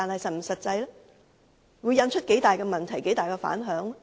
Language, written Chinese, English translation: Cantonese, 這樣做會引發多大的問題、多大的反響？, How serious the resulting problems and repercussions will this have?